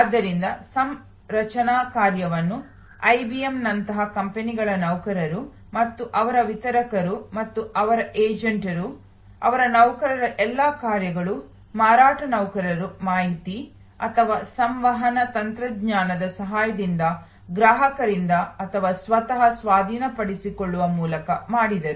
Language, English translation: Kannada, And so the configuration work was done by employees of the companies like IBM and their distributors and their agents, all those functions of their employees, sales employees by taking over by the customer himself or herself with the help of information and communication technology